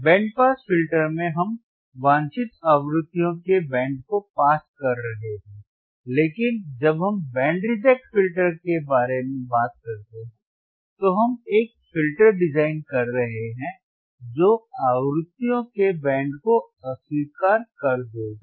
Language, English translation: Hindi, In band pass filter, we are passing the band of frequencies of desired frequencies, but when we talk about band reject filter, then we are designing a filter that will reject the band of frequencies